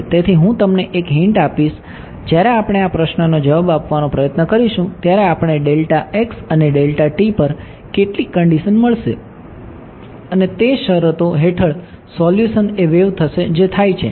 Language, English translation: Gujarati, So, I will give you a hint when we try to answer this question we will get some condition on delta x and delta t which will and under those conditions the solution is a wave that is what we will happen ok